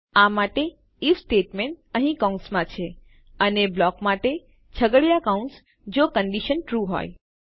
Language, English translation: Gujarati, For that we have our if statement here in parenthesis and our curly brackets for our block if the condition is TRUE